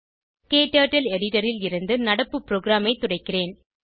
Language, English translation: Tamil, I will clear the current program from the editor